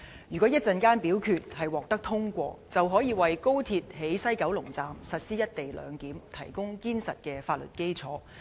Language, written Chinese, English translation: Cantonese, 如果稍後的表決獲得通過，便可以為高鐵在西九龍站實施"一地兩檢"提供堅實的法律基礎。, If the Bill is passed a moment later it will give solid legality to the implementation of the co - location arrangement at the West Kowloon Station of the Guangzhou - Shenzhen - Hong Kong Express Rail Link XRL